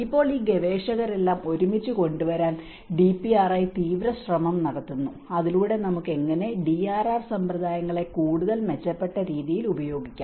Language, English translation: Malayalam, Now, the DPRI is taking an intense effort to bring all these researchers together so that how we can advocate the DRR practices in a much better way